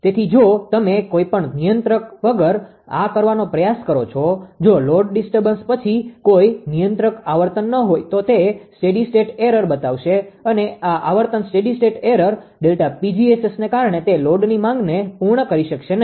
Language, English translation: Gujarati, So, without any control or if you try to do this, if there is no controller frequency after load disturbance it will so steady state error and because of this frequency steady state error delta Pg S S cannot meet that load demand